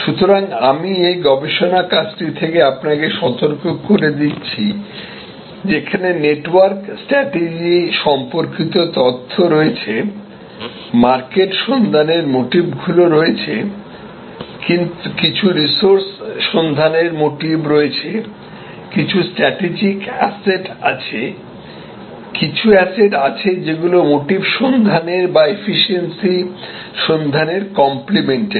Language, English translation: Bengali, So, I am alerting to you from this research work that there are information of this network strategy, there are market seeking motives, resource seeking motives, some strategic asset, complementary asset of each other seeking motives and efficiency seeking motives